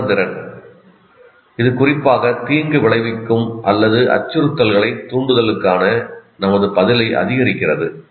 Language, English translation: Tamil, Sensitization, what it means it increases our response to a particularly noxious or threatening stimulus